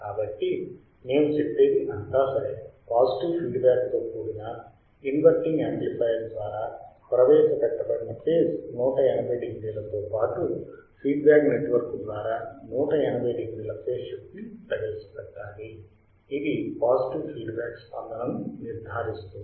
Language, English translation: Telugu, So, we say be all right there is feedback network should introduce 180 degree phase shift in addition to 180 degree phase shift introduced by inverting amplifier if you are using inverting amplifier this ensures positive feedback